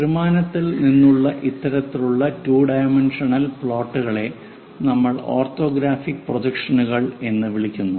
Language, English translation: Malayalam, Such kind of 2 dimensional plots from 3 dimensional, we call as orthographic projections